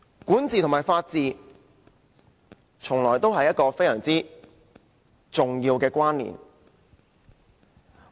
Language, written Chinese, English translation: Cantonese, 管治和法治，從來就有着非常重要的關連。, Governance and the rule of law are always in a relationship of the utmost importance